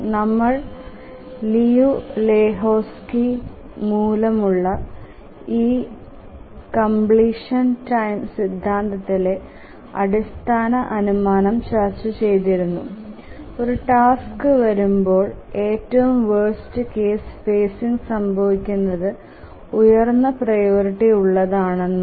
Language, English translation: Malayalam, We had already said that the basic assumption in this completion time theorem due to Liu Lehuzki is that the worst case phasing occurs when a task arrives with its higher priority